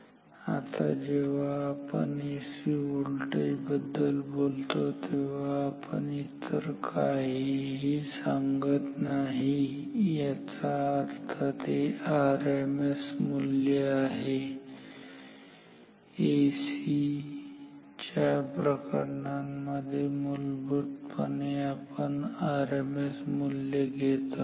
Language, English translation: Marathi, Now, when we say the value of an AC voltage if we say not if you do not mention anything else it by default means the RMS value ok; in case of AC by default we always mean RMS value